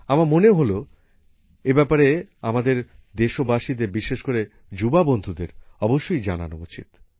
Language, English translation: Bengali, I felt that our countrymen and especially our young friends must know about this